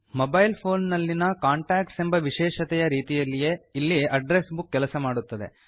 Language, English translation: Kannada, An address book works the same way as the Contacts feature in your mobile phone